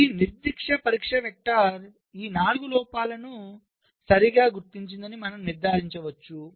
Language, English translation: Telugu, so you can conclude that this particular test vector detects these four faults right